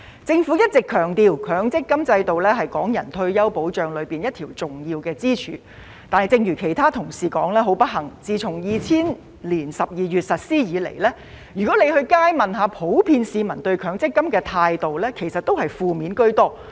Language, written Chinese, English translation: Cantonese, 政府一直強調，強積金制度是港人退休保障其中一條重要支柱，但正如其他同事所說，很不幸地自從2000年12月實施以來，如果在街上問市民普遍對強積金的態度，其實也是負面居多。, The Government always stresses that the Mandatory Provident Fund MPF system is one of the important pillars of retirement protection for Hong Kong people . Regrettably as other Honourable colleagues have said the general attitude of the public towards MPF is rather negative since its implementation in December 2000